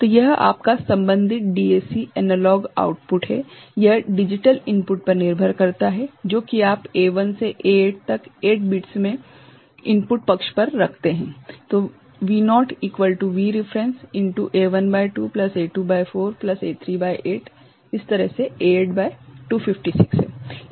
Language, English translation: Hindi, So, this is your the corresponding DAC analog output, depending on the digital input that you place in the at the input side in A1 to I mean at A8 in 8 bits